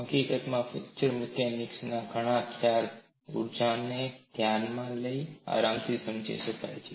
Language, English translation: Gujarati, In fact, many concepts in fracture mechanics can be comfortably understood by looking at the energy